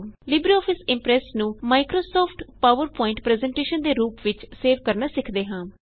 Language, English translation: Punjabi, Next,lets learn how to save a LibreOffice Impress presentation as a Microsoft PowerPoint presentation